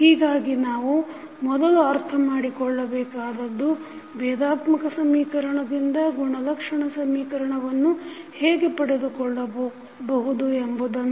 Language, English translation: Kannada, So, first we will understand how we get the characteristic equation from a differential equation